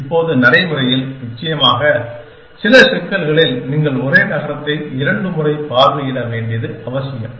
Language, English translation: Tamil, Now, in practice off course, in some problems it may be necessary for you to visit the same city twice essentially